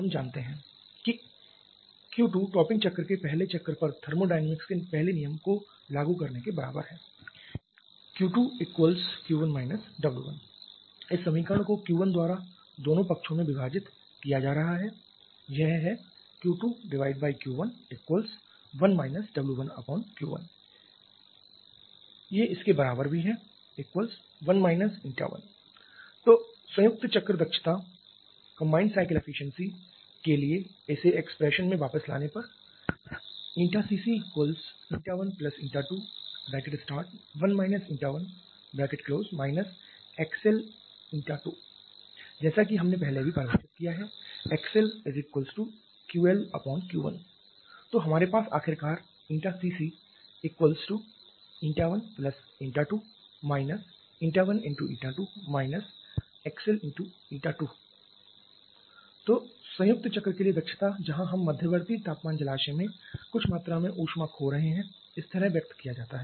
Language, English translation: Hindi, We know that Q 2 is equal to applying first law of thermodynamics on the first cycle on the topping cycle it is equal to Q 1 W that is dividing this equation by Q 1 on both side Q 2 upon Q 1 = 1 minus it is W 1 upon Q 1 is 1 W 1 upon Q 1 is ETA 1 so putting it back in the expression for this combined cycle efficiency Eta 1 + Eta 2 into 1 Eta 1 – Q L upon this should be Q 1